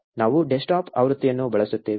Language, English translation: Kannada, We will use the desktop version